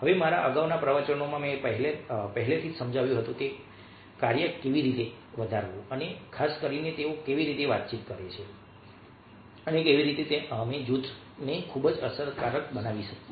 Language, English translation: Gujarati, now, in my previous lectures i have already explained how to grow, function and particularly how do they communicate and how we can make the group very effective